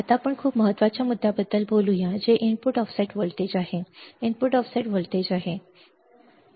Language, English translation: Marathi, Now, let us talk about very important point which is the input offset voltage umm input offset voltage